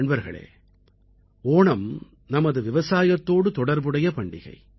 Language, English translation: Tamil, Friends, Onam is a festival linked with our agriculture